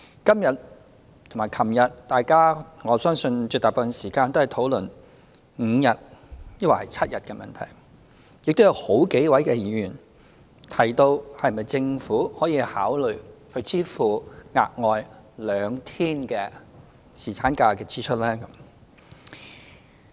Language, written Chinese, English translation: Cantonese, 今天和昨天大家絕大部分時間也在討論5天抑或是7天侍產假的問題，亦有好幾位議員提到，政府是否可以考慮支付額外兩天侍產假薪酬的支出。, We have spent most of the time today and yesterday on discussing whether five days or seven days paternity leave should be provided and several Members have asked if the Government could consider bearing the additional staff cost incurred by providing two more days of paternity leave